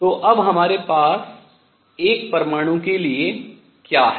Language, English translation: Hindi, So, what do we have for an atom now